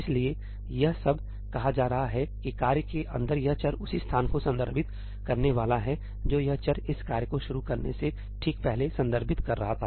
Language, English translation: Hindi, So, all itís saying is that this variable inside the task is going to refer to the same location that this variable was referring to just before this task started